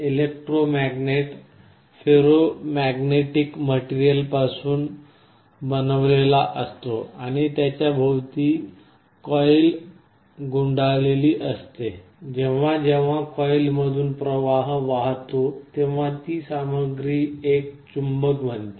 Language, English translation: Marathi, Electromagnet is constructed out of some ferromagnetic material with a coil around it; whenever there is a current flowing through the coil that material becomes a magnet